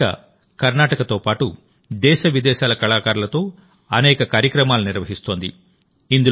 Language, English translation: Telugu, This platform, today, organizes many programs of artists from Karnataka and from India and abroad